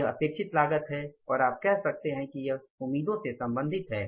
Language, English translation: Hindi, This is the expected cost and you can say it is related to the expectations